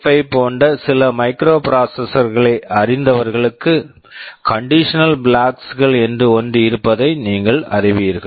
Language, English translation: Tamil, For those of you who are familiar with the some microprocessors like 8085, you will know that there are something called condition flags